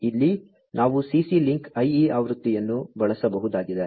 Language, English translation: Kannada, So, here we could have the CC link IE version being used